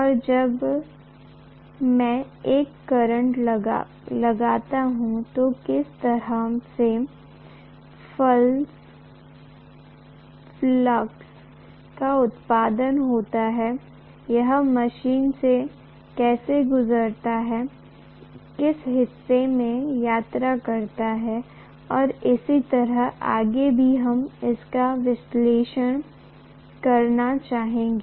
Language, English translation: Hindi, And when I apply a current, what is the kind of fluxes produced, how exactly it passes through the machine, in what part it travels and so on and so forth we would like to analyze